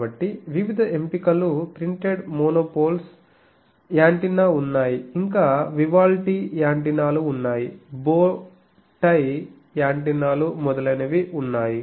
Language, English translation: Telugu, So, various options are there are printed monopoles antenna, then there were Vivaldi antennas, there were bow tie antennas etc